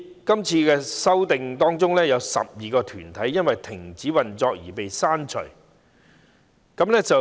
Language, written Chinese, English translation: Cantonese, 今次修訂中有12個團體因停止運作而被刪除。, In the current legislative amendment exercise 12 corporates are deleted owing to cessation of operation